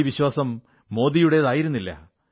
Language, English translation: Malayalam, The confidence was not Modi's